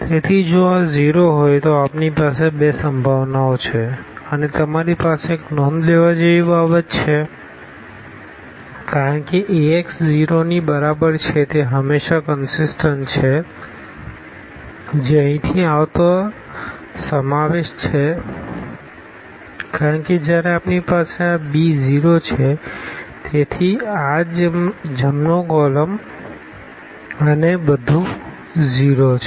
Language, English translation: Gujarati, So, if these are 0 then we have two possibilities and you have one more point to be noted because Ax is equal to 0 is always consistent that is the inclusion coming from here because when we have this b is 0, so, this right this column everything is 0